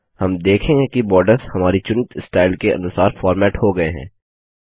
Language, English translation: Hindi, We see that the borders get formatted according to our selected style